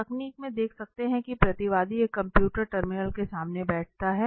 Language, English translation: Hindi, If you can see now in this technique the respondent sits in front of a computer terminal